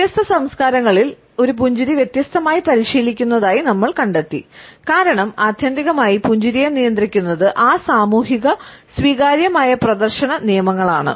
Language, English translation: Malayalam, We find that in different cultures a smile is practiced differently, because ultimately smile is also governed by that socially accepted display rules